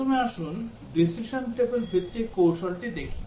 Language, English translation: Bengali, First, let us look at the decision table based technique